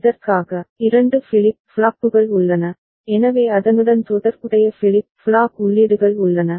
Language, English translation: Tamil, And for this, there are 2 flip flops, so there are corresponding flip flop inputs